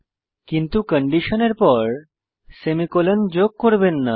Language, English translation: Bengali, * But dont add semi colons after the condition